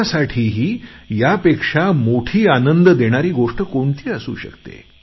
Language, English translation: Marathi, What can be more satisfying than this for any one